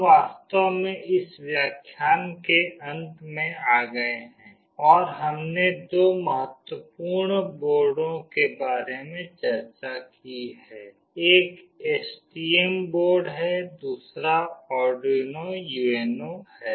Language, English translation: Hindi, S We have actually come to the end of this lecture and we have discussed about two important boards; one is the STM board another is Arduino UNO